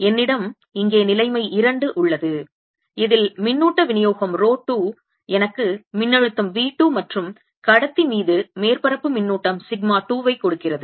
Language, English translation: Tamil, i have situation two here in which i have charge distribution, rho two, which gives me potential v two, and surface charge sigma two on the conductor